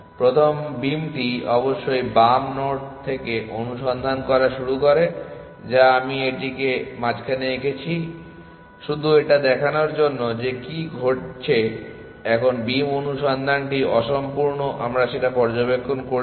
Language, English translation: Bengali, Now, the beam of course start searching from the left node that I have drawn it in the middle just to show what happen now beam search is incomplete we has observed essentially